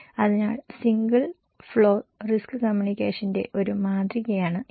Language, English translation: Malayalam, So, a model of single flow risk communications is that